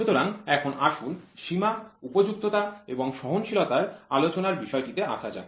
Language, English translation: Bengali, So, now let us get into the topic of discussion for limits fits and tolerance